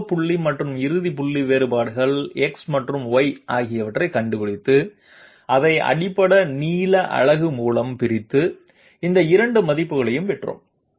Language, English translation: Tamil, We found out the initial point and the final point, the differences Delta x and Delta y divided it by the basic length unit and obtained these 2 values